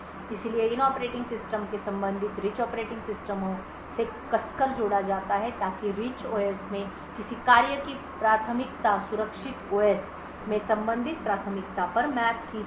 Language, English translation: Hindi, So, these operating systems are tightly coupled to the corresponding rich operating systems so that a priority of a task in the Rich OS can get mapped to a corresponding priority in the secure OS